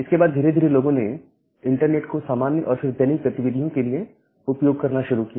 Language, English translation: Hindi, And then people gradually started using internet for normal, then general day to day usage